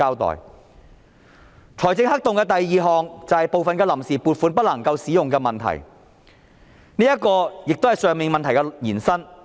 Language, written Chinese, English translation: Cantonese, 第二個財政黑洞是部分臨時撥款不能夠使用的問題，這同樣是以上問題的延伸。, The second fiscal black hole concerns the problem that part of the funds on account may not be used and this likewise derives from the above mentioned problem